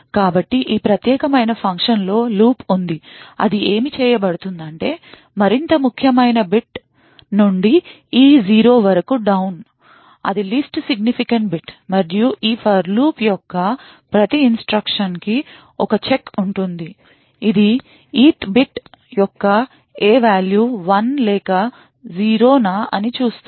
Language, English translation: Telugu, So what is done in this particular function is that there is a for loop from the more significant bit in e down to 0 that is the least significant bit, and in every iteration of this for loop there is a condition check to determine whether the ith bit in e is 1 or 0